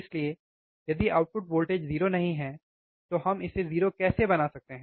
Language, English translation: Hindi, So, is the output voltage is not 0, how we can make it 0, right